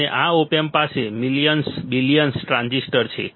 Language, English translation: Gujarati, And this op amp has millions of MOSFETs billions of transistors all right